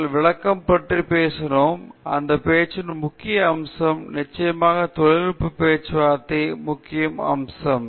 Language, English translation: Tamil, We spoke about illustration a major aspect of any talk; certainly a major aspect of technical talks